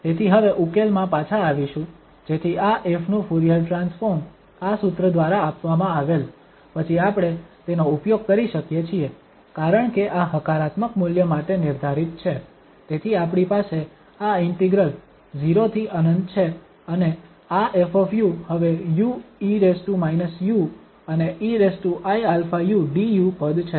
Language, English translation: Gujarati, So coming back to the solution now so the Fourier transform of this f given by this formula then we can use it because this is defined for positive value, so we have this integral from 0 to infinity and this f u is now u e power minus u and e power i alpha u du term